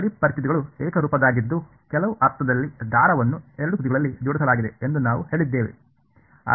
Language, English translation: Kannada, The boundary conditions were also homogeneous in some sense we said the string is clamped at both ends